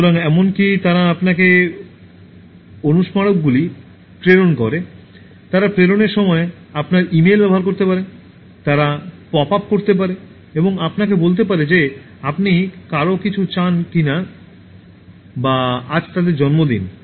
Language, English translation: Bengali, So, they even send your reminders, they can use your email to send reminders, they can pop up and tell you why don’t you wish someone, it’s their birthday today and so on